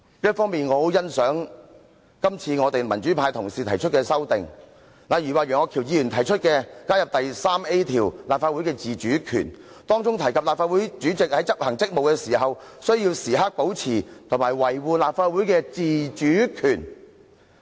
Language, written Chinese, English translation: Cantonese, 一方面，我很欣賞今次民主派同事提出的修訂，例如楊岳橋議員提出加入新訂的第 3A 條"立法會的自主權"，訂明立法會主席在執行職務時，須時刻保持和維護立法會的自主權。, On the one hand I very much appreciate the amendments proposed by colleagues in the pro - democracy camp such as Mr Alvin YEUNGs proposed addition of new Rule 3A Autonomy of the Council which provides that the President in discharging of his duties shall preserve and defend the autonomy of the Legislative Council at all times